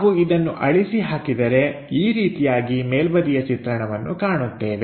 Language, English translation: Kannada, So, if we are erasing it, this is the way top view looks like